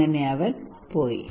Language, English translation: Malayalam, So he left